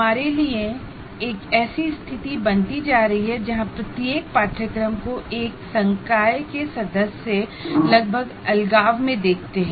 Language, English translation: Hindi, Somehow we have been ending up with this situation where each course is looked at by a faculty member almost in isolation